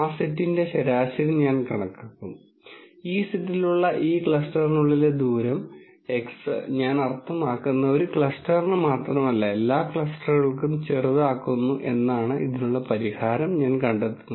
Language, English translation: Malayalam, I will calculate the mean of that set and I will find out a solution for this these means in such a way that this within cluster distance x which is in the set minus I mean is minimized not only for one cluster, but for all clusters